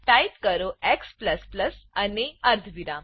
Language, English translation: Gujarati, Type x++ and a semicolon